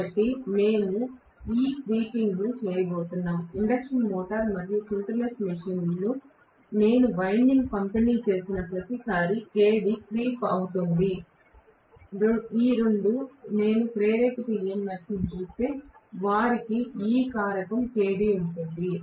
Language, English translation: Telugu, So we are going to have this creeping in, this Kd will creep in every time I have distributed winding in induction motor and synchronous machine, both of them, if I look at the induce EMF they will have this factor Kd